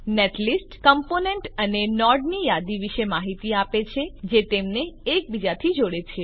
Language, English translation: Gujarati, Netlist gives information about list of components and nodes that connects them together